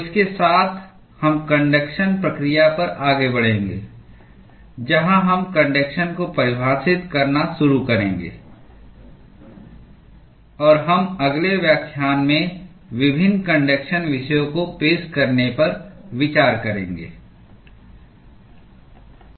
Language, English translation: Hindi, So, with this we will move onto the conduction process, where we will start looking at defining conduction, and we look at introducing various conduction topics in the next lecture